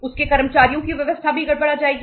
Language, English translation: Hindi, His employees’ arrangements will also be disturbed